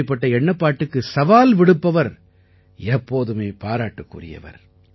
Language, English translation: Tamil, Those who challenge this line of thinking are worthy of praise